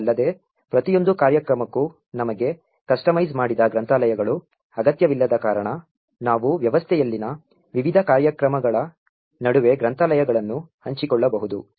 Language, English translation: Kannada, Further, since we do not require customized libraries for each program, we can actually share the libraries between various programs in the system